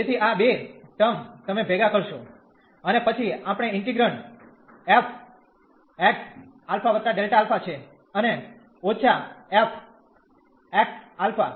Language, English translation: Gujarati, So, these two terms you will combine, and we will have then integrand f x alpha plus delta alpha and minus f x alpha